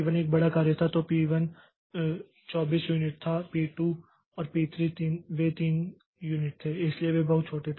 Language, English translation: Hindi, P1 was a large job so P1 was 24 unit so P2 and P3 they were 3 units